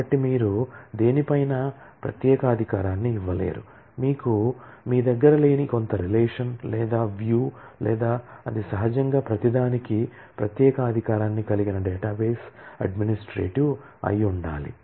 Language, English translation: Telugu, So, you cannot grant privilege on something, some relation or view on which you yourself do not have that or it has to be the database administrative who naturally has privilege for everything